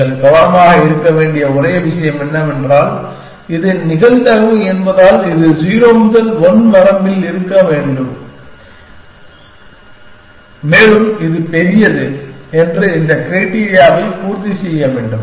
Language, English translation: Tamil, The only thing you have to be careful is that, this being probability it should come in the range 0 to 1 and it should satisfy this criteria that the larger this is